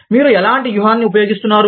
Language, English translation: Telugu, What kind of tactic, you use